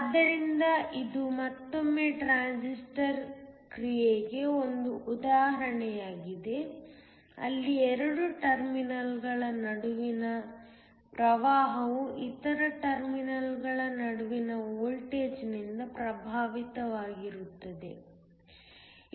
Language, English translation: Kannada, So, This is again an example for transistor action, where the current between 2 terminals is affected by the voltage between the other terminals